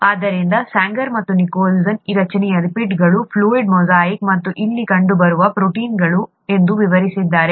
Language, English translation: Kannada, So Sanger and Nicholson described this structure as a fluid mosaic of lipids which are these and proteins which are seen here